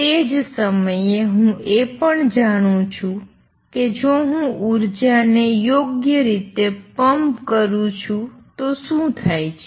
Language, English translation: Gujarati, At the same time I also know what happens if I pump in energy right